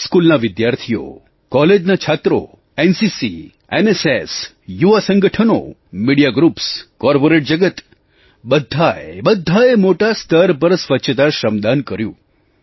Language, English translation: Gujarati, School children, college students, NCC, NSS, youth organisations, media groups, the corporate world, all of them offered voluntary cleanliness service on a large scale